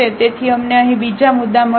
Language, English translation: Gujarati, So, we got another points here